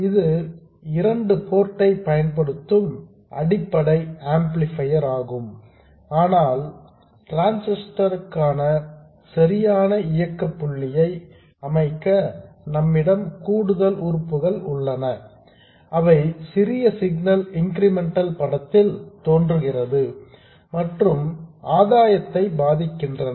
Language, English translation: Tamil, It is the basic amplifier using the 2 port but to set up the correct operating point for the transistor, we have some additional components which also appear in the small signal incremental picture and influence the gain